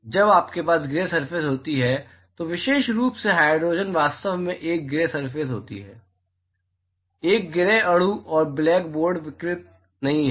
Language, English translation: Hindi, When you have gray surfaces, particular hydrogen is actually a gray surfaces; a gray molecule it is not black board radiation